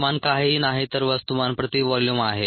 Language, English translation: Marathi, concentration is nothing but mass per volume